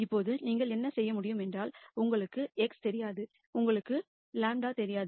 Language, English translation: Tamil, Now what you could do is; you do not know x and you do not know lambda also